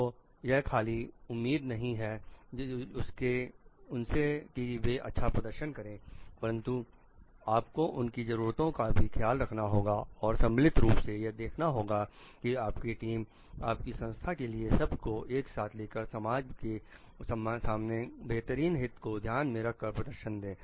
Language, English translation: Hindi, So, that it not only it is not an expectation to them to perform, but you also take care of their needs and see like jointly you along with your team along with the organization all taken together are performing to the best interest of the whole society at large